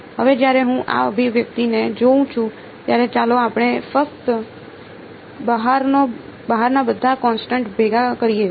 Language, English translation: Gujarati, Now when I look at this expression let us just gather all the constants outside